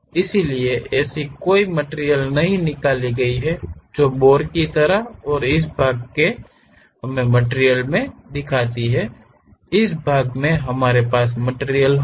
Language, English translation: Hindi, So, there is no material removed that is just like a bore and this part we will be having material, this part we will be having material